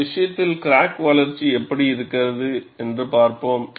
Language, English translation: Tamil, And let us see, how the crack growth for this case is